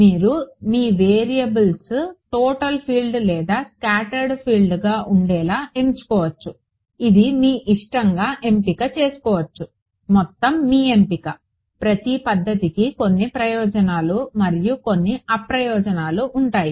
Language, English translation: Telugu, You could choose to have your variables be either the total filed or the scattered field it is your choice, total your choice each method will have some advantages and some disadvantages